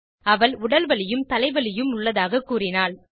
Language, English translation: Tamil, She was complaining of body pain, head ache as well